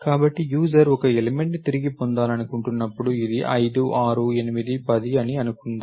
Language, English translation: Telugu, So, obviously when the user wants an element to be retrieved, let us say this is 5, 6, 8, 10